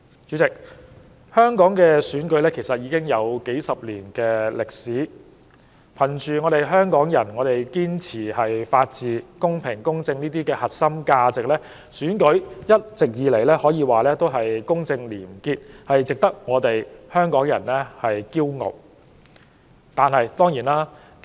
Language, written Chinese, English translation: Cantonese, 主席，香港的選舉已有數十年歷史，憑着香港人對法治、公平、公正等核心價值的堅持，選舉一直以來都公正廉潔，值得香港人引以自豪。, President elections in Hong Kong have a history of several decades . With Hongkongers holding fast to such core values as the rule of law fairness and equity elections have been fair and honest in which the people of Hong Kong can take pride